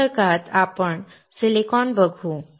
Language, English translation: Marathi, In the next class we will see the Silicon